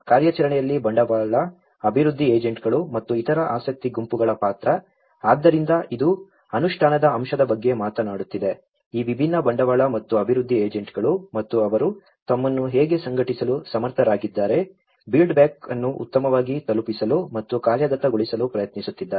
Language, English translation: Kannada, The role of capital, development agents and other interest groups in operationalizing, so it is talking about the implementation aspect, how these different capital and the development agents and how they are able to organize themselves, in deliver and operationalize the build back better